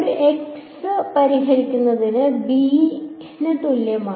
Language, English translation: Malayalam, Solving a x is equal to b